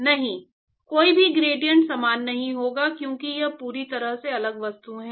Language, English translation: Hindi, No no gradiants will not be equal, because these are completely different objects